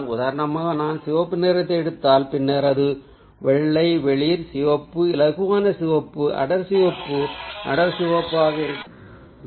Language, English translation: Tamil, for example, if i pick up red, then it has to be white, light red, lighter red, darker red, darker red, and then its ah, red in low contrast and then it'll become, ah, brownish